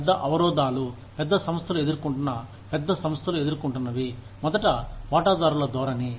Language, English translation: Telugu, Main constraints, that large organizations face, or large corporations face are, first is shareholder orientation